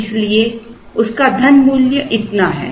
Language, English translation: Hindi, So, the money value of that is so much